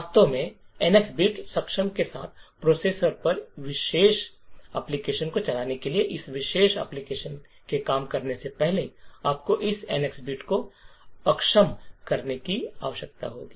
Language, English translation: Hindi, So, in order to actually run this particular application on a processor with NX bit enabled, it would require you to disable this NX bit before it this particular application can work